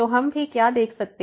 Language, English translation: Hindi, So, what we can also see